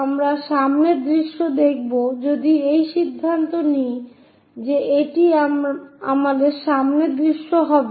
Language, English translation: Bengali, We would like to view front view if I am deciding this will be my front view